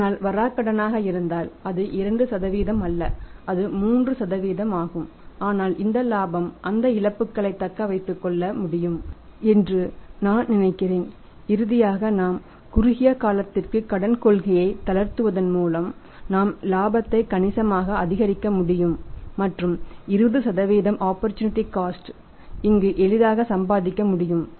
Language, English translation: Tamil, But if more than that is also bad debts they are going to have for example it is not 2% it is 3% even then I think this profit will be able to sustain those losses and finally we are going to end up a situation where buy relaxing the credit policy for the short term we can increase the profit substantially and the opportunity cost of 20% can be easily earned here